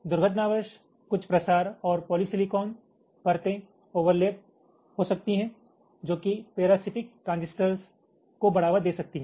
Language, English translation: Hindi, accidentally, some diffusional polysilicon layers might overlap during to parasitic transistors and so on